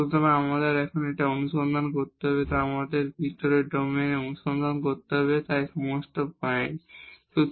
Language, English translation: Bengali, So, what we have to search now we have to search inside the domain so at all these points